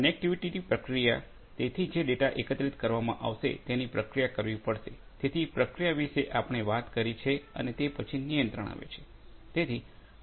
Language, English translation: Gujarati, Connectivity, processing, so the data that are collected will have to be processed; so, processing we have talked about and then, comes the control